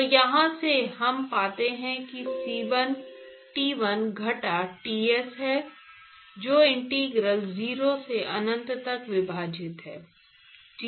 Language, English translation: Hindi, So, from here we find c 1 is T1 minus Ts divided by integral 0 to infinity oh I called it Ti